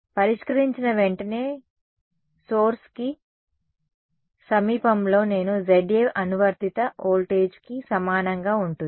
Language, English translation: Telugu, Near the source right after solving I will get Za will be equal to the applied voltage